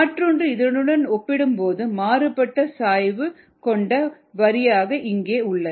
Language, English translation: Tamil, this is one line, and then there is another line here with a difference slope